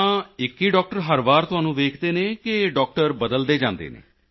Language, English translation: Punjabi, So every time is it the same doctor that sees you or the doctors keep changing